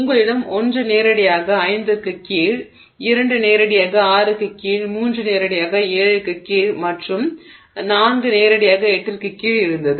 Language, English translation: Tamil, , you had one directly above, I mean, I'm sorry, you had 1 directly below 5, 2 directly below 6, 3 directly below 7 and 4 directly below 8